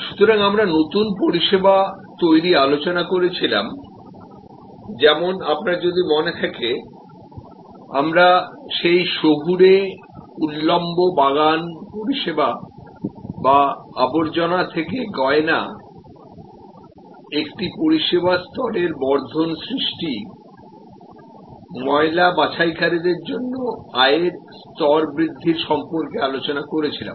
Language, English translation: Bengali, So, we were looking at new service creation, like if you recall we talked about that vertical urban gardening service or jewelry from trash, creation as a service level enhancement, income level enhancement for rag pickers